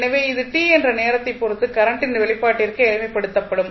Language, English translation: Tamil, So, this will be simplified for expression for current I with respect to time t